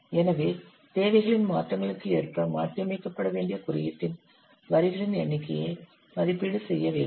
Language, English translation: Tamil, Then an estimate of the number of lines of the code that have to be modified according to the requirement changes